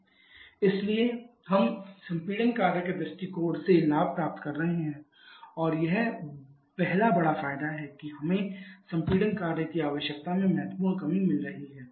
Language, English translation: Hindi, So, we are gaining from the compression work point of view and that is the first big advantage we are having significant reduction in the compression work requirement